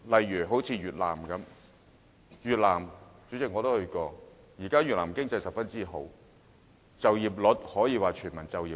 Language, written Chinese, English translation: Cantonese, 以越南為例，主席，我曾到訪越南，如今越南的經濟非常好，就業方面，可說是全民就業。, Let us take Vietnam as an example President . I have been to Vietnam before . Vietnams economy is doing quite well and it can be said that it has achieved full employment